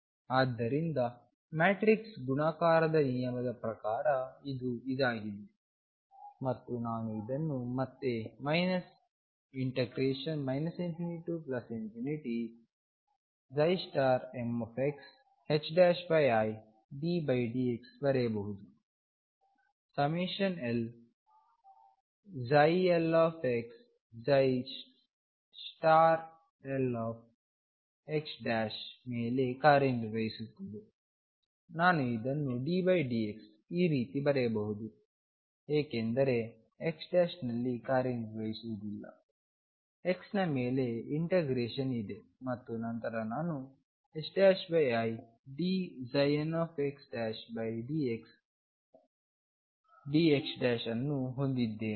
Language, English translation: Kannada, So, by the rule of matrix multiplication this is what it is and this again I can write as minus infinity to infinity psi m star x h cross over i d by d x operating on summation over l psi l x psi l star x prime, I can write it like this because d by d x does not act on x prime, there is an integration over x and then i have h cross over i d psi n x prime over d x d x prime